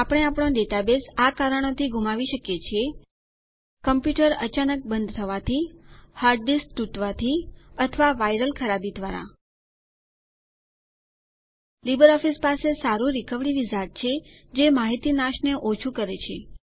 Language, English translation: Gujarati, We could lose our database due to LibreOffice has a good recovery wizard that minimizes the data loss